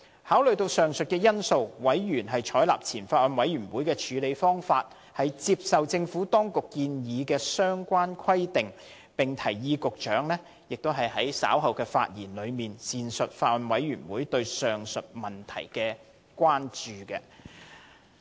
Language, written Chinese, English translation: Cantonese, 考慮到以上因素，委員採納前法案委員會的處理方法，接受政府當局建議的相關規定，並提議局長在稍後發言時，闡述法案委員會對上述問題的關注。, Taking into account the above factors members decide to adopt the same approach as the Former Bills Committee that is they accept the relevant provisions as proposed by the Administration and suggest that the Secretary should elaborate on such concerns of the Bills Committee in his speech later